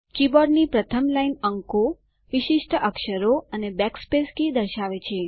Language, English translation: Gujarati, The first line of the keyboard displays numerals special characters and the backspace key